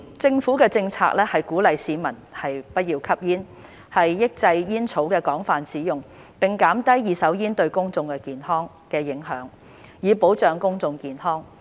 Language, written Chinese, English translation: Cantonese, 政府的政策是鼓勵市民不要吸煙、抑制煙草的廣泛使用，並減低二手煙對公眾的影響，以保障公眾健康。, To safeguard the health of the public it is the Governments policy to discourage smoking contain the proliferation of tobacco use and minimize the impact of passive smoking on the public